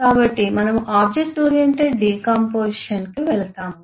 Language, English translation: Telugu, so we turn to object oriented decomposition